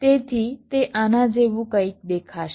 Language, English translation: Gujarati, right, so it will look something like this